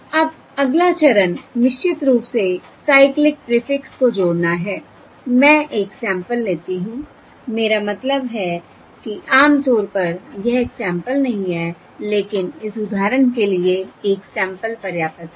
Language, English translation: Hindi, Now the next step is, of course, adding the cyclic prefix, that is, I take one sample I mean typically it is not one sample, but for this example, one sample is enough